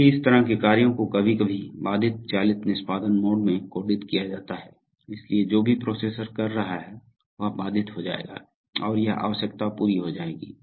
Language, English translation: Hindi, So such tasks are sometimes coded in the interrupt driven execution mode, so whatever the processor was doing it will be interrupted and this requirement will be get into